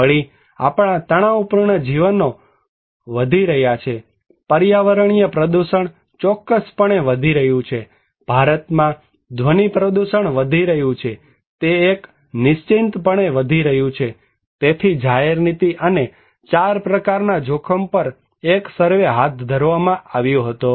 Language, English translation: Gujarati, Also, our stressful life is increasing, environmental pollution definitely is increasing, sound pollution is increasing at least in India, it is increasing for sure, so there was a survey conducted public policy and risk on 4 kinds of risk